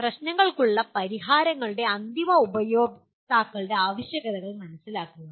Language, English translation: Malayalam, Understand the requirements of end users of solutions to the problems